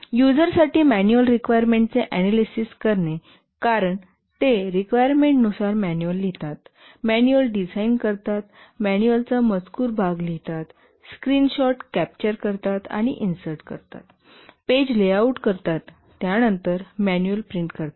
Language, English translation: Marathi, For the user manual, analyze the requirements because you have to write the manual based on the requirements, design the manual, write the text part of the manual, capture screenshots and insert them, do page layout, then print the manual